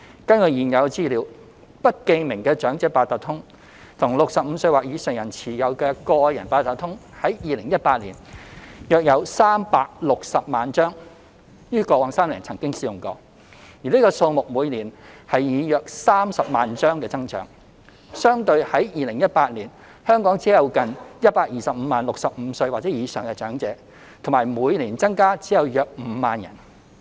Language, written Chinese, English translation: Cantonese, 根據現有資料，不記名的長者八達通卡及65歲或以上人士持有的個人八達通卡，於2018年約有360萬張於過往3年曾經使用，而這數目以每年約30萬張增長，相對於2018年，香港只有近125萬名65歲或以上的長者，以及每年增加只有約5萬人。, According to available information in 2018 a total of 3.6 million anonymous Elder Octopus cards and Personalised Octopus cards for elderly aged 65 or above were issued and had been used within past three years and this figure increases by about 300 000 per year whilst there were only around 1.25 million elderly aged 65 or above in 2018 and the annual increase is only around 50 000